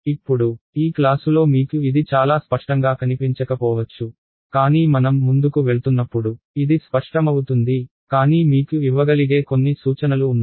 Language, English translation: Telugu, Now this may not seem very clear to you in this class, but it will become clear as we go along, but there are there are a few hints that I can give you